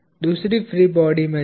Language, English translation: Hindi, Go to the other free body